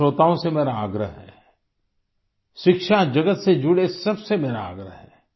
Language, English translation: Hindi, I appeal to all the listeners; I appeal to all those connected with the field of education